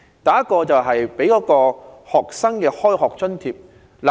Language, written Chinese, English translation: Cantonese, 第一，為學生提供開學津貼。, Firstly the Government should give students a school term allowance